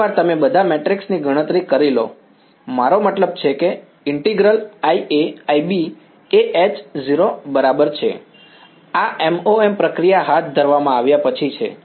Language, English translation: Gujarati, Once you calculate all the matrix I mean the integral I A I B is equal to h and 0, this is after the MoM procedure has been carried out